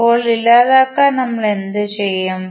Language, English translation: Malayalam, Now, to eliminate what we will do